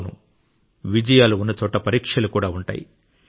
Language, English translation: Telugu, Where there are successes, there are also trials